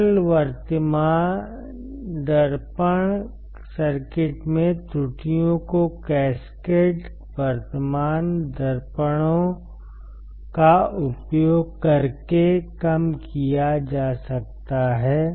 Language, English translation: Hindi, The errors in the simplest current mirror circuits can be reduced by using, cascaded current mirrors